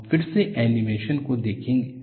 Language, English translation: Hindi, We will again look at the animation